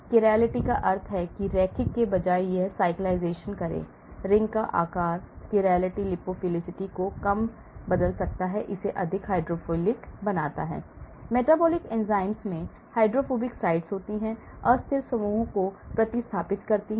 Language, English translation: Hindi, Cyclise that means instead of linear make it cyclisation, change ring size, change chirality, reduce lipophilicity, make it more hydrophilic, the metabolic enzymes have hydrophobic sites, replace unstable groups